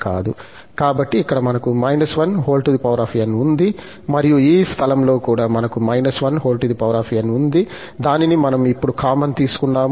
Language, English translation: Telugu, So, we have here minus 1 power n, minus 1 power n, and at this place also, we have minus one power n, which we can take common now